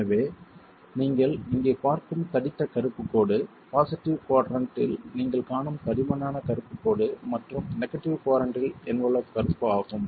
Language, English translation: Tamil, So the thick black line that you see here, the thick black line that you see in the positive quadrant and the negative quadrant is the envelope curve